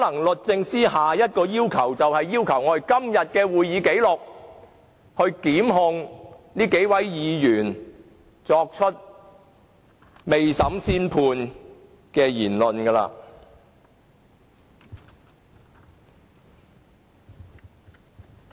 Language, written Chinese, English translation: Cantonese, 律政司下一個要求，可能便是索取今天會議的紀錄，以檢控這些未審先判的議員。, DoJ will possibly make another request for a record of todays proceedings for the purpose of prosecuting those Members who have delivered a judgment before the trial